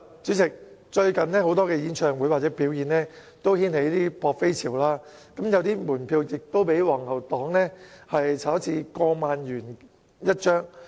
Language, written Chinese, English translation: Cantonese, 主席，最近有多個演唱會或表演均掀起"撲飛"潮，有門票更被"黃牛黨"炒至過萬元1張。, President there was a large demand for the tickets of a number of concerts or performances recently and a ticket could even be exorbitantly charged at over 10,000 by scalpers